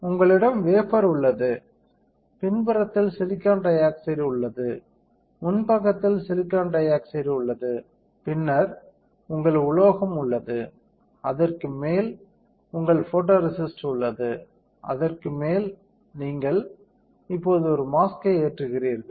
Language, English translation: Tamil, You have the wafer, silicon dioxide is on the backside, silicon dioxide is in the front side and then you have your metal, over that you have your photoresist, over that you are loading now a mask